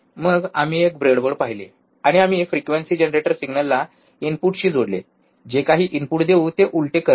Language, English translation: Marathi, Then we have seen a breadboard, and we have connected the frequency generator the signal to the input which is inverting some input